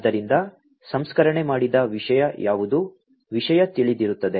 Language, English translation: Kannada, So, the processing is done in a content aware